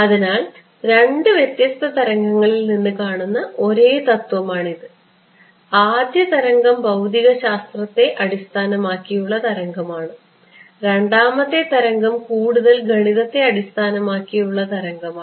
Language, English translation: Malayalam, So, it is the same principle seen from two different waves; the first wave is the physics based wave the second wave is a more math based wave ok